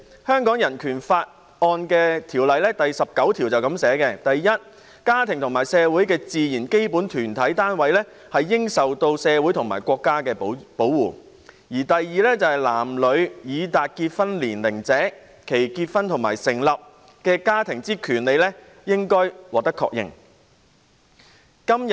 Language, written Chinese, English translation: Cantonese, 香港人權法案第十九條訂明："一家庭為社會之自然基本團體單位，應受社會及國家之保護"；"二男女已達結婚年齡者，其結婚及成立家庭之權利應予確認。, Article 19 of the Hong Kong Bill of Rights provides that a The family is the natural and fundamental group unit of society and is entitled to protection by society and the State; b The right of men and women of marriageable age to marry and to found a family shall be recognised